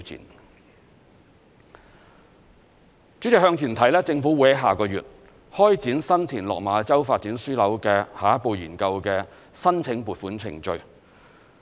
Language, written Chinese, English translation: Cantonese, 代理主席，向前看，政府會在下個月開展新田/落馬洲發展樞紐的下一步研究的申請撥款程序。, Deputy President to look forward the Government will apply for the funding of the next study on the San TinLok Ma Chau Development Node